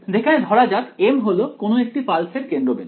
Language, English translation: Bengali, Where m let us say is the centre of one of these pulses